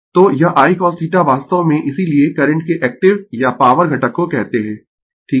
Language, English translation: Hindi, So, this I cos theta actually that is why we call active or power component of the current right